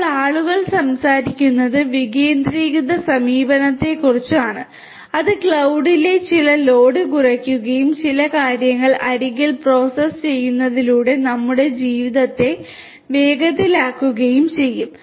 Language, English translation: Malayalam, Now people are talking about decentralized approach that will decrease some of the load on the cloud and will also makes our lives faster by processing certain things at the edge